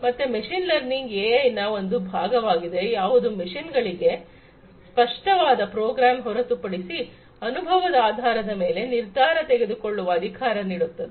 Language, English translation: Kannada, So, machine learning is a part of AI which empowers the machines to make decisions based on their experience rather than being explicitly programmed